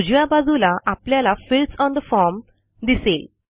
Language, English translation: Marathi, On the right hand side we see fields on the form